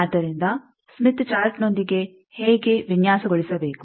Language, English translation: Kannada, So, with smith chart how to design